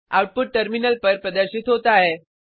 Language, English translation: Hindi, The output is as displayed on the terminal